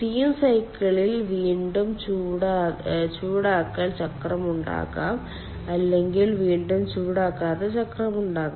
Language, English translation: Malayalam, there could be reheat cycle or there could be non reheat cycle